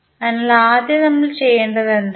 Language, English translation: Malayalam, So, first thing what we have to do